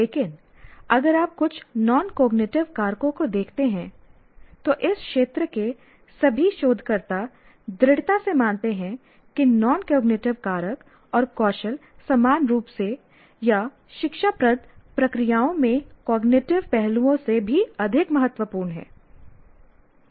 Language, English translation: Hindi, But if you look at some non cognitive factors, it has been fairly all the researchers in this area firmly believe that non cognitive factors and skills are equally or even more important than cognitive aspects in educative processes